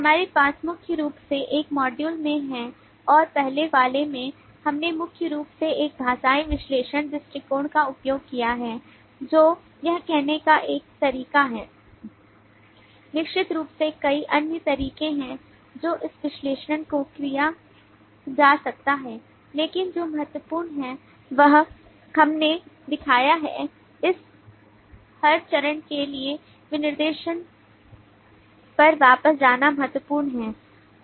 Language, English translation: Hindi, we have primarily in this module and in the earlier one we have primarily used a linguistic analysis approach which is one way of doing it certainly there are several other ways that this analysis can be done, but what has been important is we have shown that at every stage it is critical to go back to the specification